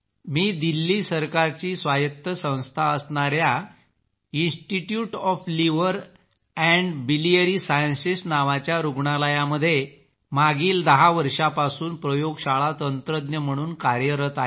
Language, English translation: Marathi, I have been working as a lab technician for the last 10 years in the hospital called Institute of Liver and Biliary Sciences, an autonomus institution, under the Government of Delhi